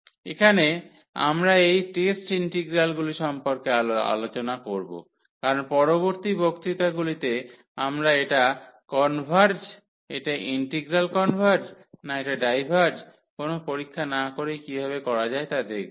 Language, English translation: Bengali, So, here we also use in further lectures about this test integrals because in the next lectures we will learn about how to how to test whether this converge this integral converges or it diverges without evaluating them